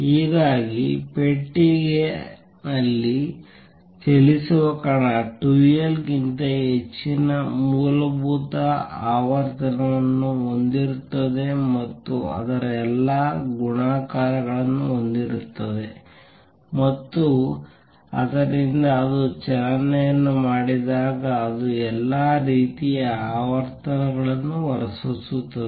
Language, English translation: Kannada, Thus, you see that the particle moving in a box has the fundamental frequency V over 2 L and all its multiples and therefore, when it performs motion, it will radiate all kinds of frequencies